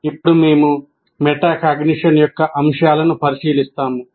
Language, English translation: Telugu, Now we look at the elements of metacognition